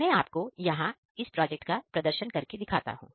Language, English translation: Hindi, So, here I am going to demo of this project